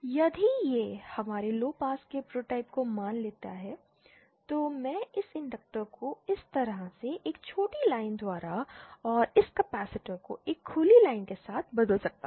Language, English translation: Hindi, If this suppose our low pass prototype then I can replace this inductor by a shorted line like this and this capacitor with an open line like this